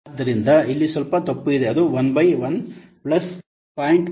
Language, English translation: Kannada, So there is a slight mistake here it must be 1 by 1 plus 0